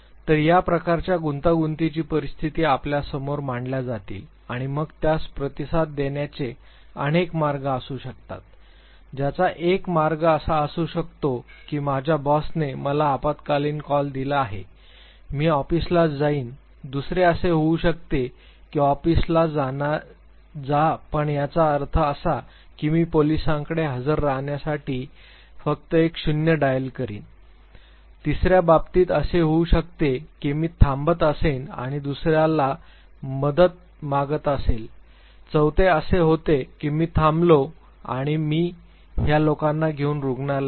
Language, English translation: Marathi, So, this type of complex situations would be presented to you and then there could be multiple ways of responding to it one way could be that my boss is given an emergency call to me I will rush to the office the other could be that I will rush to the office, but mean while I will just dial one zero zero for the police to come an attend to the case third could be that I would stop and ask others also for a help the fourth could be that I will stop and take these people to hospital